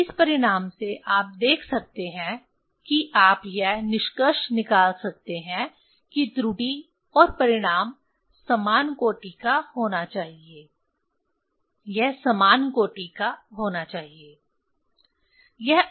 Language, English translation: Hindi, From this result you can see you can conclude that the error and the result it has to be of same order, it has to be of same order